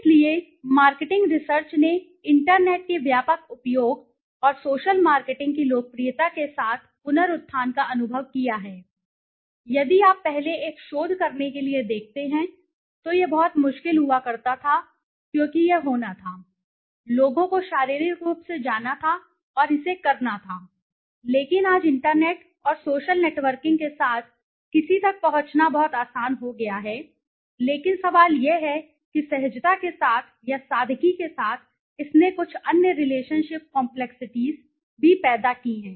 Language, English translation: Hindi, So marketing research has experienced a resurgence with a widespread use of the internet and the popularity of social marketing today, if you see earlier to do a research it used to be very difficult because it had to be, people had to go physically and do it, but today with internet and social networking it has become very easy to reach somebody, but the question is with the easiness or with the simplicity it has also created some other relational ship complexities